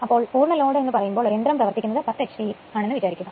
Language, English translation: Malayalam, So, a full load means suppose machine operating say 10 h p machine is there